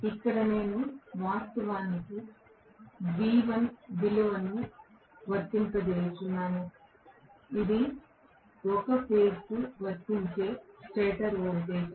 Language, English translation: Telugu, Here is where I am actually applying the value v1 that is the stator voltage applied per phase